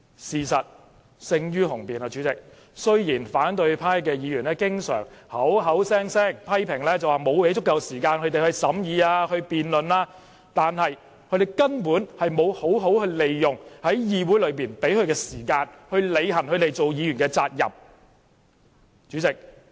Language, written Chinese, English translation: Cantonese, 事實勝於雄辯，雖然反對派議員經常口口聲聲批評主席沒有給予他們足夠時間審議及辯論，但他們根本沒有好好利用議會時間，履行他們作為議員的責任。, Facts speak louder than words . Although opposition Members often criticize the President for not giving them sufficient time for deliberation and debate they have not made good use of the Council meeting time or well performed their duties as Members